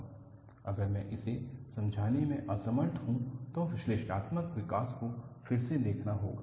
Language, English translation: Hindi, If I am unable to explain it, then analytical development has to be relooked